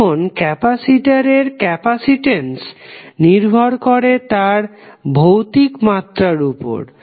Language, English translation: Bengali, Now, capacitance of a capacitor also depends upon his physical dimension